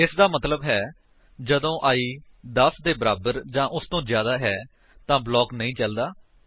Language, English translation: Punjabi, That means, when i becomes more than or equal to 10, the block is not executed